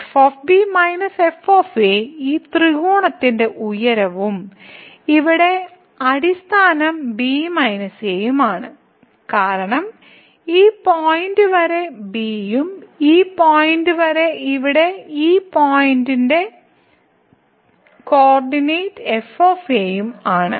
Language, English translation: Malayalam, So, minus is this height of this triangle and the base here is minus , because up to this point is and up to this point here the co ordinate of this point is a